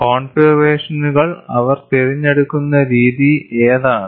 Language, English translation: Malayalam, And what way they choose the configurations